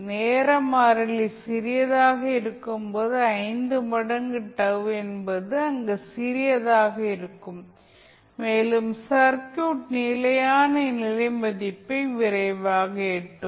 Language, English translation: Tamil, When time constant is small, means 5 into time constant would be small in that case, and the circuit will reach to steady state value quickly